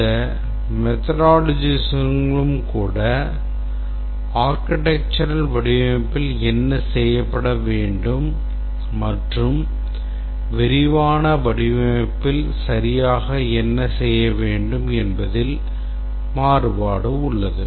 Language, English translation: Tamil, Even among the methodologies there is quite a variation in what exactly should be done in the architectural design and what exactly to be done in the detailed design